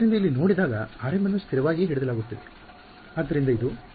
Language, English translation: Kannada, So, when see over here r m is being held constant right; so, this